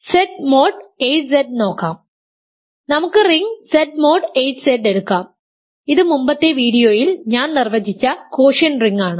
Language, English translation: Malayalam, Let me look at Z mod 8Z, let us take the ring Z mod 8Z this is the quotient ring remember that I defined in a previous video